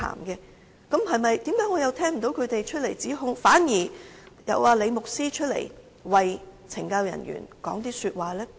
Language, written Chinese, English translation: Cantonese, 然而，為何我又聽不到他們出來指控，反而看到李牧師走出來為懲教人員說話呢？, Yet why have I not heard the accusation made by these people . On the contrary why Rev LI comes out to speak a few words for CSD staff?